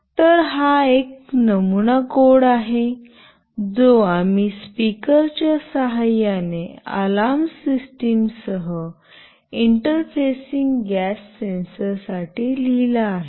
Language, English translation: Marathi, So, this is a sample code that we have written for interfacing gas sensor along with the alarm system using the speaker